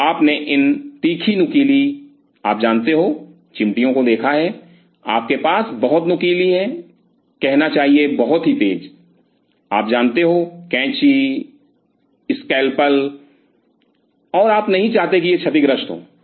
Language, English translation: Hindi, So, you have seen this fine sharp you know forceps, you have very fine should say very fine you know scissors, capsules and you did not want these to get damaged